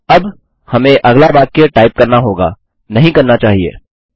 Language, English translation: Hindi, Now, we need to type the next sentence, should we not